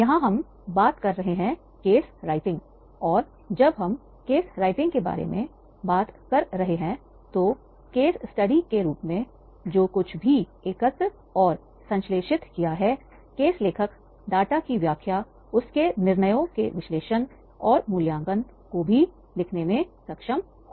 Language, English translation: Hindi, Here we are talking about the case writing and when we are talking about the case writing then the case author should be able to also write the analysis and the evaluation of his decisions, the interpretation of data whatever he has collected and synthesized in the form of a case study